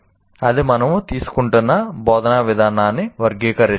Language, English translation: Telugu, That characterizes the particular instructional approach that we are taking